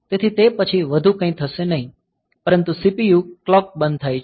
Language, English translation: Gujarati, So, that will be after that nothing more will happen the CPU clock is gated off